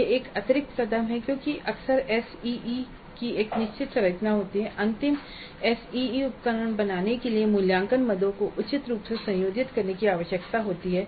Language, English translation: Hindi, That is one additional step because often the SE has got a fixed structure and the assessment items need to be combined appropriately in order to create the final SEE instrument